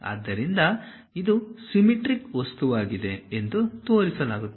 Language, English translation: Kannada, So, just showing and this is a symmetric object